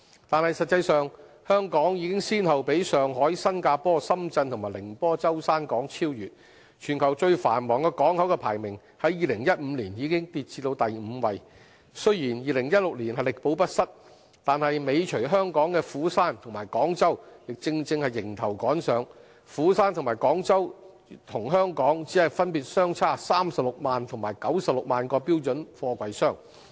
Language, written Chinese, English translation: Cantonese, 但實際上，香港已先後被上海、新加坡、深圳及寧波舟山港超越，全球最繁忙港口的排名在2015年已跌至第五位；雖然在2016年力保不失，但尾隨香港的釜山和廣州正迎頭趕上，釜山和廣州與香港只分別相差36萬及96萬個標準貨櫃箱。, However the port of Hong Kong has actually been overtaken by Shanghai Singapore Shenzhen and the port of Zhoushan in Ningbo and its ranking among the worlds busiest container ports has already dropped to the fifth in 2015 . Although Hong Kong was still the fifth busiest container port in 2016 the ports of Busan and Guangzhou were trailing closely behind with only a very slight difference of 360 000 and 960 000 TEUs respectively